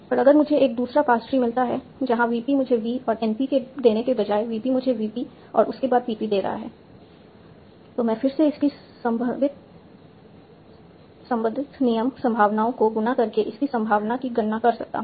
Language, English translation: Hindi, And if I get a second pass tree where instead of vP giving me vn p, vp is giving me vp followed by pp, I can again compute its probability by multiplying its corresponding rule probabilities and I can find the probabilities of both the past trees individually